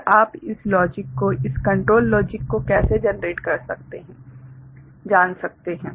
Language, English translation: Hindi, And how you can generate you know this logic this control logic